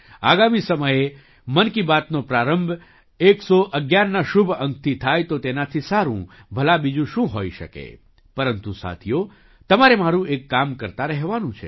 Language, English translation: Gujarati, Next time 'Mann Ki Baat' starting with the auspicious number 111… what could be better than that